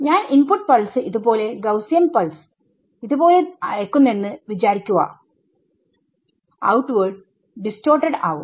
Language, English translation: Malayalam, So, what happens is suppose I send a input pulse like this nice Gaussian pulse we send like this outward happens is you will get distorted right